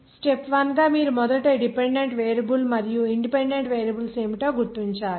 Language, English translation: Telugu, As a step 1 you have to first identify what are the dependent variable and independent variables